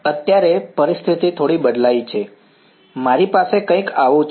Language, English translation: Gujarati, Right now the situation has changed a little bit, I have something like this